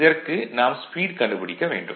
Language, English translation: Tamil, So, we have to find out this speed right